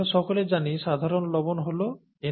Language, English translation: Bengali, As we all know common salt is NaCl, okay